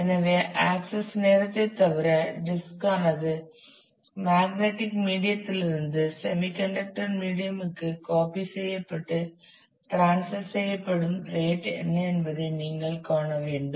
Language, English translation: Tamil, So, it that depends on a besides the access time you will have to see what is the rate at which the disk can be copied from the magnetic medium to the semiconductor medium and transferred